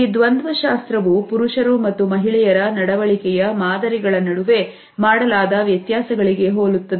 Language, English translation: Kannada, This dichotomy is similar to other distinctions which have been made between the behavior patterns of men and women